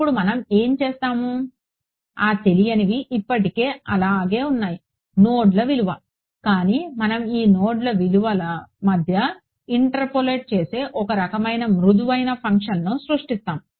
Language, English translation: Telugu, Now what we will do is, those unknowns are still the same, the value of the nodes, but we will create a kind of a smooth function that take that interpolates between these node values